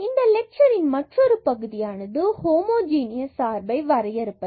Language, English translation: Tamil, So, another part of this lecture is to define the homogeneous functions